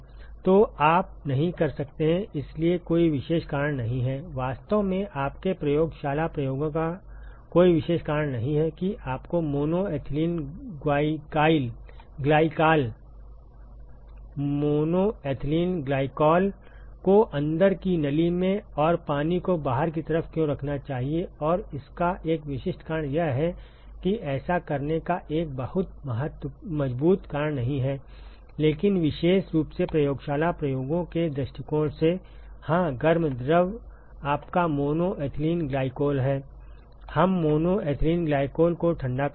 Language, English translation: Hindi, So, you cannot; so there is no specific reason … in fact, there is there is no specific reason for your lab experiments as to, why you should put mono ethylene glycol in the in the inside tube and water on the outside; and there is one specific reason the reason is that which is not a very strong reason to do that, but particularly from the lab experiments point of view, yeah the hot fluid is your mono ethylene glycol right, we are cooling the mono ethylene glycol